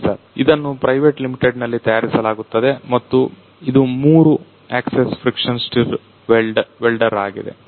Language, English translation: Kannada, So, this is manufactured by private limited and it is a three axis friction stir welder